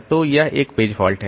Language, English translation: Hindi, So, there is a page fault